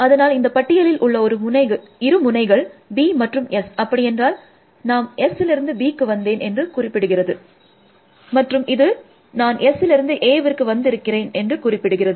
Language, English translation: Tamil, So, this list is the list of two nodes B S essentially, with basically says, I came to B from S, this says that I came to A from S essentially